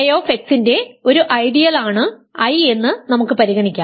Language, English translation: Malayalam, So, I is an ideal of K x then there exists